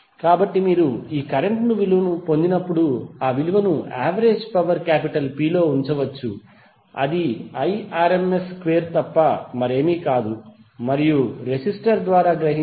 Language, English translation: Telugu, So when you get this current can simply put the value in the average power P that is nothing but Irms square of and you will get the power absorbed by the resistor that is 133